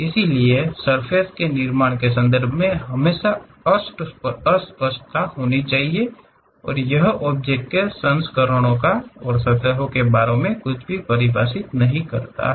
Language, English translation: Hindi, So, there always be ambiguity in terms of surface construction and it does not define anything about volumes and surfaces of the object